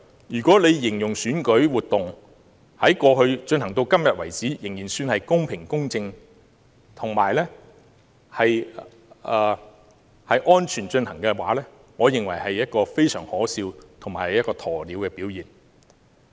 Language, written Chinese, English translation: Cantonese, 如果聶局長形容選舉活動由過去至今為止仍算是公平、公正及安全地進行，我認為這是一個非常可笑及鴕鳥的表現。, According to the description by Secretary NIP the electoral activities so far have been conducted in a fair just and safe manner . I find his description ridiculous which shows his refusal to recognize reality